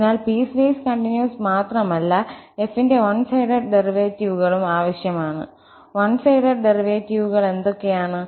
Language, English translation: Malayalam, So, not only just piecewise continuity is enough but we also need one sided derivatives of f, what are the one sided derivatives